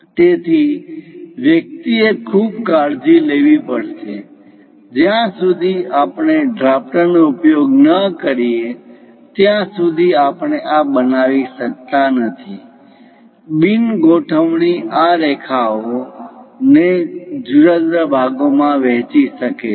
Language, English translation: Gujarati, So, one has to be very careful; unless we use drafter, we cannot really construct this; non alignment may divide these line into different parts